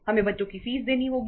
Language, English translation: Hindi, We have to pay the fees of the kids